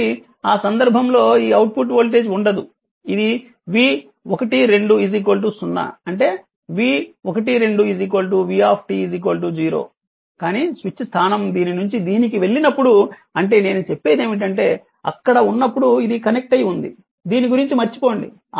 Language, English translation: Telugu, So, in that case this ah your what you call there will be no output voltage that v12 is 0 that v12 is equal to v12 is equal to v t is equal to 0 right, but when switch position had gone from this to this I mean when it is there when it is connected forget about this, when it is connected at that time your v one 2 is equal to v t is equal to v 0 right